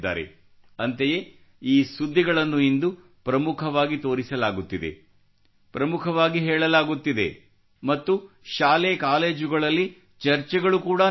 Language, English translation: Kannada, And such news is shown prominently in the country today…is also conveyed and also discussed in schools and colleges